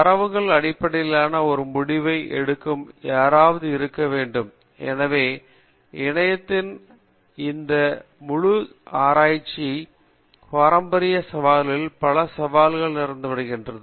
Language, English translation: Tamil, So there should be somebody who makes a decision based on the data so this entire notion of internet of things as opened up several challenges in the traditional area of research